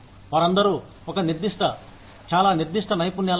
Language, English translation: Telugu, They all have, is a specified, very specific skills set